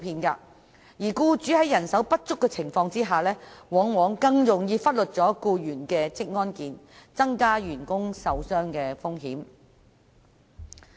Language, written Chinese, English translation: Cantonese, 僱主在人手不足的情況下，往往更容易忽略僱員的職安健，這樣會增加員工受傷的風險。, As such it will be more likely for employers to neglect the occupational safety and health of their employees thus exposing them to a greater risk of sustaining injury at work